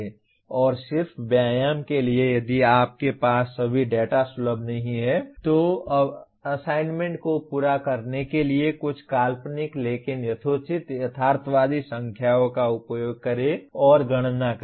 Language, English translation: Hindi, And just for exercise if you do not have all the data accessible to you, use some hypothetical but reasonably realistic numbers and to compute the, to complete the assignment